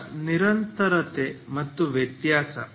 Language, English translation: Kannada, So simple continuity and differentiability